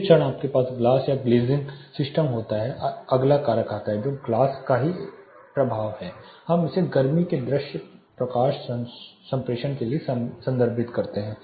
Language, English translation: Hindi, Moment you have glass or glazing system third factor you know the forth factor comes into picture that is the effect of glass itself, we refer it to visible light transmittance in the heat